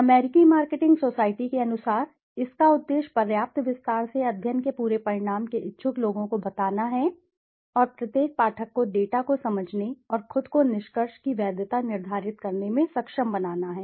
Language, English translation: Hindi, According to the American marketing society its purpose is to convey to people interested the whole result of the study in sufficient detail and to enable each reader to comprehend the data and to determine himself the validity of the conclusions